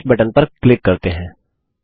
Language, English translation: Hindi, Now lets click on the Finish button